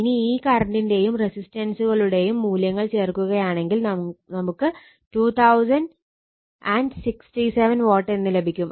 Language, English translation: Malayalam, So, if you just put all these values from the magnitude of this current and the resistive value you will get 2067 Watt here also 2067 watt